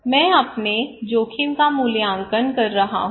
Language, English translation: Hindi, I am evaluating my own risk